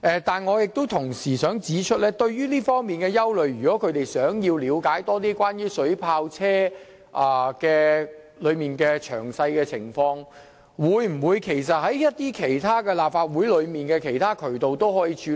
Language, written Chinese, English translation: Cantonese, 但是，我同時想指出，就這方面的憂慮，他們如欲進一步了解水炮車的詳情，是否可循立法會的其他渠道處理？, However at the same time I would like to point out that with respect to these worries if they want to further understand the details of water cannon vehicles can they achieve it through other channels in place in the Legislative Council?